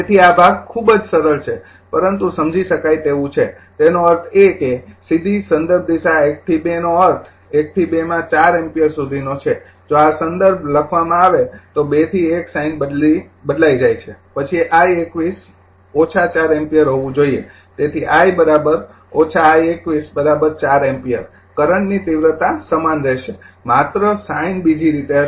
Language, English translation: Gujarati, So, this part is very simple, but understandable if you; that means, direct reference direction 1 to 2 means from 1 to 2 4 ampere if you take this is reference written 2 to 1 the sine is change, then I 21 should be minus 4 ampere therefore, I 12 is equal to minus I 21 is equal to 4 ampere, current magnitude will remain same only the sine part right other way